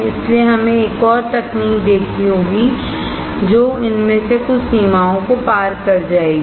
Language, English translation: Hindi, So, we have to see another technology, which will overcome some of these limitations